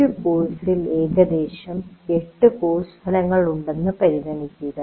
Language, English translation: Malayalam, Let us consider there are about eight course outcomes that we do